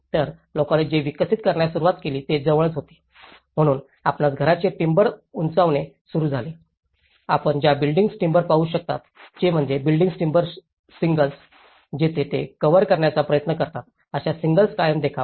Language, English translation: Marathi, So, what people started developing was thereby towards the near, so people started developing to upgrade their house, using the timber off cuts you know what you can see is the timber shingles, where shingles they try to cover with that and make more of a permanent look